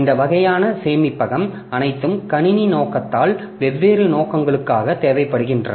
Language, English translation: Tamil, So, all these types of storage are required in a computer system for different purposes